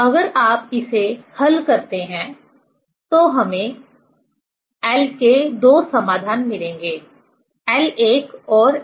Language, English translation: Hindi, We will get 2 solution of l: l 1 and l 2 if you solve this one